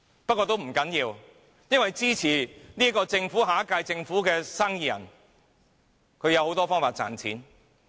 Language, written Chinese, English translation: Cantonese, 不過，這並不要緊，因為支持下屆政府的生意人有很多方法賺錢。, Never mind businessmen supporting the next - term Government will have lots of ways to make money